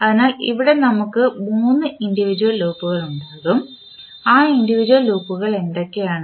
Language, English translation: Malayalam, So, here we will have three individual loop, what are those individual loops